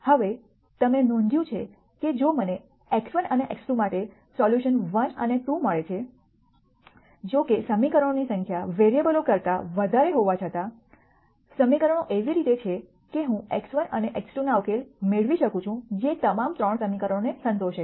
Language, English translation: Gujarati, Now you notice that if I get a solution 1 and 2 for x 1 and x 2; though the number of equations are more than the variables, the equations are in such a way that I can get a solution for x 1 and x 2 that satis es all the 3 equations